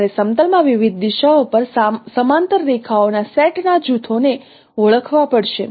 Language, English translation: Gujarati, You have to identify groups of sets of parallel lines in a plane at different directions